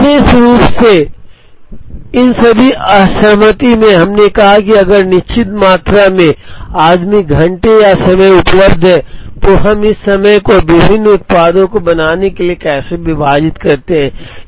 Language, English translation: Hindi, In all these disaggregation in particular, we said if a certain amount of man hour is or time is available, how do we divide this time to make various products